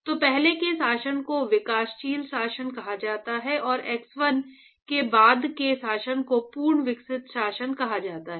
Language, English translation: Hindi, So, the regime before is called developing regime and after x1 is called the fully developed regime